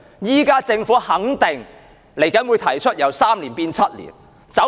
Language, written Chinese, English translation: Cantonese, 現時政府肯定稍後會提出由3年變成7年的建議。, Now it is certain that the Government will put forward a proposal to raise the offence threshold from three years to seven years